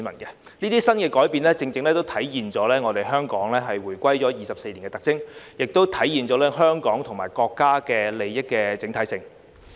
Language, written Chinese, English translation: Cantonese, 這些新改變正正體現了香港回歸祖國24年的特徵，也體現了香港與國家利益的整體性。, These new changes exactly reflect the characteristics of Hong Kong over the 24 years since its return to the Motherland and the interests of Hong Kong and our country as a whole